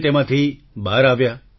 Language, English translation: Gujarati, You emerged out of that